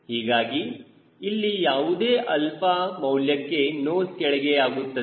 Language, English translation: Kannada, so any alpha here it also gives the nose down